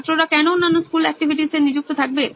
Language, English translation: Bengali, Why would student be engaged in other school activities